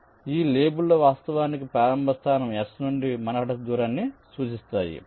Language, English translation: Telugu, so these labels indicate actually manhattan distance from the starting point s